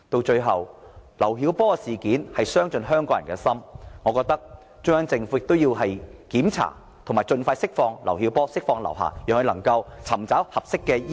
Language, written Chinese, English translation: Cantonese, 最後，劉曉波事件傷盡香港人的心，我覺得中央政府應該盡快釋放劉曉波和劉霞，讓劉曉波能夠接受合適的醫療......, Finally the incident of LIU Xiaobo has totally broken the hearts of Hong Kong people . I think the Central Government should release LIU Xiaobo and LIU Xia as soon as possible and allow LIU Xiaobo to receive appropriate medical treatment